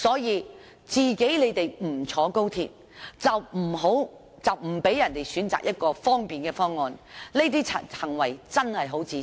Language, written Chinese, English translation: Cantonese, 他們不乘坐高鐵就不讓別人選擇一個便利的方案，這種行為真的很自私。, Since they will not take high - speed rail they will not let others choose a convenient proposal . This is indeed a selfish act